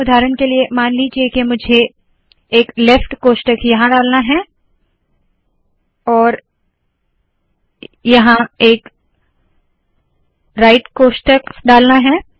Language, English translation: Hindi, Suppose for example, I want to put a left bracket here and here I want to put a right bracket